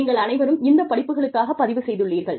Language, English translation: Tamil, You all, register for these courses